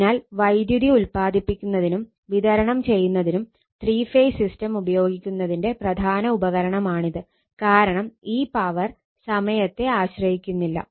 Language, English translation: Malayalam, So, this is one important reason for using three phase system to generate and distribute power because of your, this is power what you call independent of the time